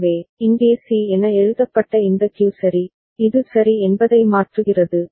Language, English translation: Tamil, So, this Q which is written as C here ok, it toggles ok